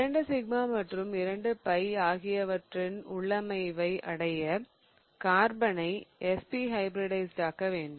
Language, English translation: Tamil, Now, in order to achieve the configuration of 2 sigma and 2 pi, the carbon has to be SP hybridized